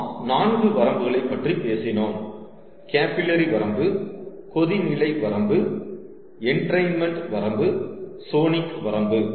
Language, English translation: Tamil, we talked about four limits: capillary limit, boiling limit, entrainment limit and sonic limit